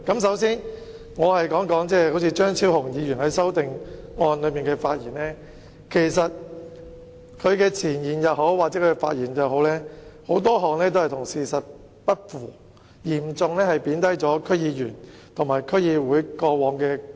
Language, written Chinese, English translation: Cantonese, 首先，我想談談張超雄議員就修正案作出的發言，他在前言或發言中提出的言論很多都與事實不符，嚴重貶低區議員和區議會過往作出的貢獻。, To start with I would like to say a few words about the speech delivered by Dr Fernando CHEUNG on his amendment . Many of the comments made in his preamble or speech are not consistent with the facts for they have seriously belittled the contribution made by DC members and DCs in the past